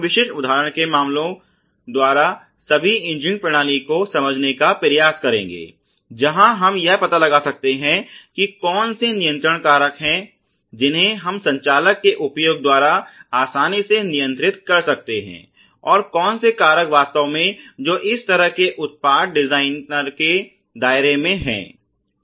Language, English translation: Hindi, We will try to understand all the engineering system by a I mean by sot of taking specific example cases where we can find out which are those which are controlled you know which are those factors we can be control easily by the use of the operator and which are the factors the really which are in the ambit of the product designer as such